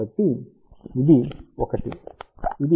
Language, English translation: Telugu, So, this is 1, this is 0